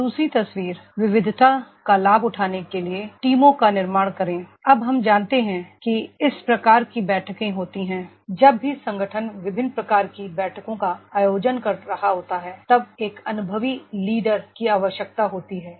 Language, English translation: Hindi, ) Now the 2nd picture, build the teams to leverage diversity, now we know that is these type of the meetings, whenever the organization is conducting the different types of meetings then that require an experienced leader